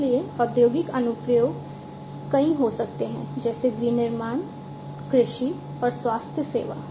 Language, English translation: Hindi, So, industrial applications could be many such as manufacturing, agriculture, healthcare, and so on